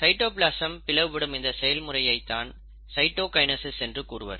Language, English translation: Tamil, This process, where the cytoplasm also divides, is what you call as the cytokinesis